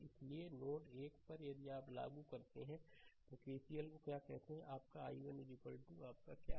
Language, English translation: Hindi, So, at node 1 if you apply you what to call KCL here it is your i 1 is equal to your what to ah this thing